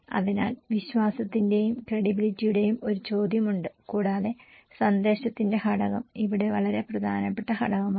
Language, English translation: Malayalam, So, there is a question of trust and creditability and also the component of message is very important component here